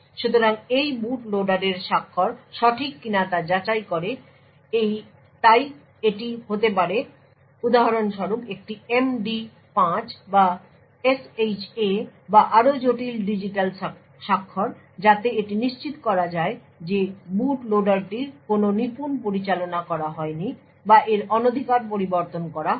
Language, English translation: Bengali, So it would do this verifying that the signature of that boot loader is correct so this could be for example an MD5 or SHA or even more complicated digital signatures to unsure that the boot loader has not been manipulated or not being tampered with